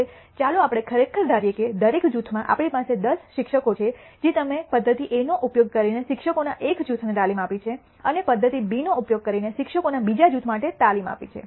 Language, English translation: Gujarati, Now, let us actually we assumed that we have 10 teachers in each group you have given training for one group of teachers using method A and another group of teachers using method B